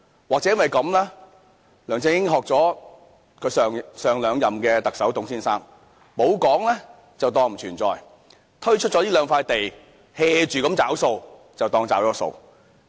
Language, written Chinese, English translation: Cantonese, 或者梁振英是模仿前兩屆特首董先生，沒有再說便當作不存在，推出了這兩塊土地，"住找數"便當作真的"找了數"。, Perhaps LEUNG Chun - ying is copying Mr TUNG the Chief Executive before his predecessor who said that a policy did not exist if it was not mentioned anymore . After selecting these two pieces of land LEUNG Chun - ying has taken his carefree work as realizing his undertaking